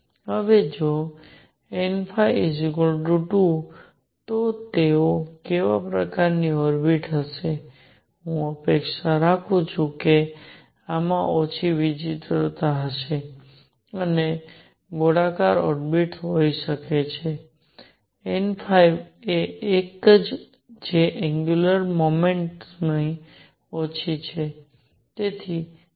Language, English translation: Gujarati, Now, what kind of orbits would they be if n phi is 2, I would expect this to have less eccentricities and that could be a circular orbit; n phi is one that is less of an angular momentum